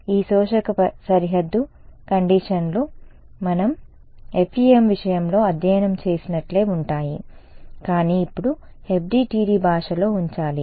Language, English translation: Telugu, These absorbing boundary conditions are the same as what we studied in the case of FEM ok, but now we have to put it in the language of FDTD ok